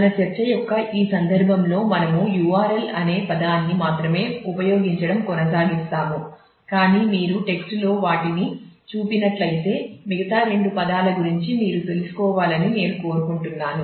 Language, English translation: Telugu, In this context of our discussion we will continue to use the term URL only, but I just wanted you to be aware of the other two terms in case you come across them in the text